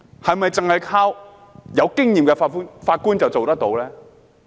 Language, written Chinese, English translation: Cantonese, 是否只是靠有經驗的法官便做得到？, Do Judges simply pass judgments on cases?